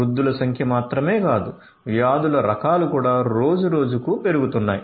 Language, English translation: Telugu, Not only the number of diseases, but also the types of diseases are also increasing day by day